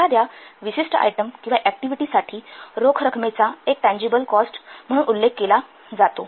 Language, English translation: Marathi, So, tangible cost is defined as an outlay of the cash for a specific item or for a specific activity